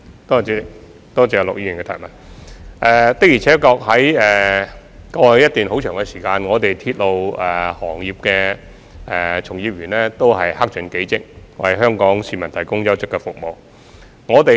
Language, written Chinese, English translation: Cantonese, 的而且確，一直以來，鐵路行業的從業員都克盡己職，為香港市民提供優質服務。, It is true that members of the railway sector have all along been doing their best to provide quality services to the people of Hong Kong